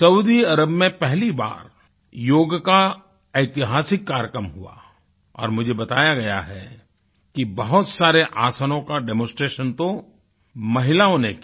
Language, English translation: Hindi, Saudi Arabia witnessed its first, historic yoga programme and I am told many aasans were demonstrated by women